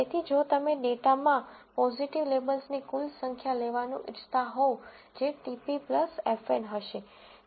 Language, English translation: Gujarati, So, if you want to just take the total number of positive labels in the data that will be TP plus FN